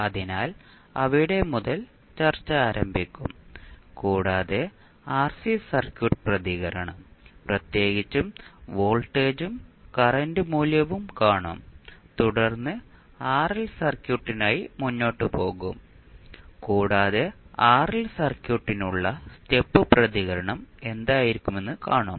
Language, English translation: Malayalam, So, we will start our discussion from that point onwards and we will see the RC circuit response particularly the voltage and current value and then we will proceed for RL circuit and we will see what could be the step response for RL circuit